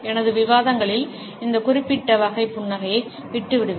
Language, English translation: Tamil, In my discussions, I would leave this particular type of a smile